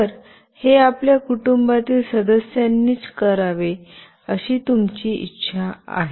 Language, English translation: Marathi, So, you want it to be done only by your family members